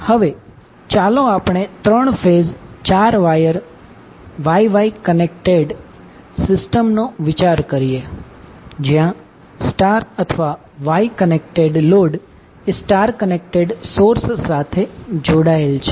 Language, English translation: Gujarati, Now let us consider three phase four wire Y Y connected system where star or Y connected load is connected to star connected source